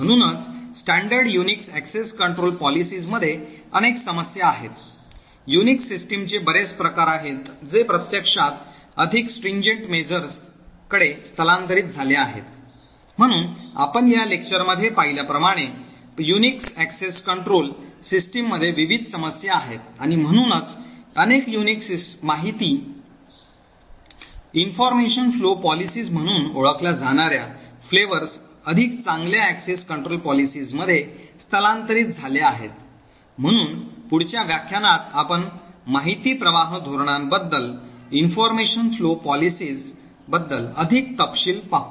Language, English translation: Marathi, So therefore there are multiple issues with standard Unix access control policies and there are several variants of Unix systems which have actually migrated to more stringent measures, so as we see in this lecture there are various problems with the Unix access control mechanisms and therefore many Unix flavours has actually migrated to a much better access control policies using something known as information flow policies, so in the next lecture we look at more details about information flow policies